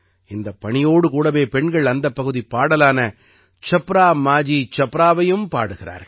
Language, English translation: Tamil, Along with this task, women also sing the local song 'Chhapra Majhi Chhapra'